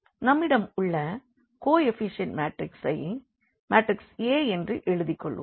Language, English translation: Tamil, So, we have the coefficient matrix that this I will matrix A